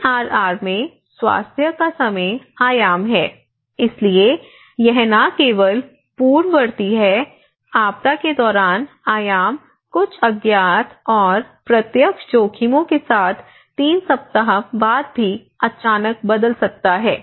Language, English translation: Hindi, The time dimension of health in DRR, so it is not only the predisaster, during disaster the hell dimension can abruptly change even after 3 weeks, some unknown risks, some direct risks